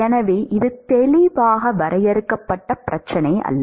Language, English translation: Tamil, So, it is not a clearly bounded problem